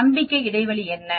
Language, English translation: Tamil, What is the confidence interval